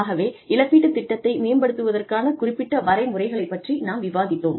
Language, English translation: Tamil, So, we discussed, some criteria for developing, a plan of compensation